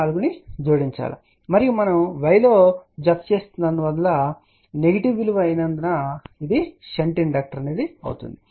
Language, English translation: Telugu, 64 you have to add that and since we are adding in y and negative value it will be a shunt inductor